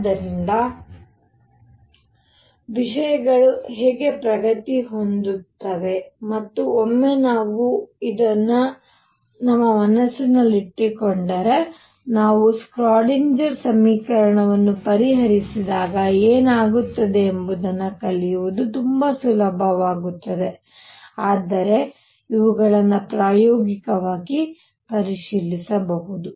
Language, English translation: Kannada, So, I am doing all this is to tell you how things progress and these are once we have this in our mind, learning what happens later when we solve the Schrödinger equation becomes very easy, but these are things that can be checked experimentally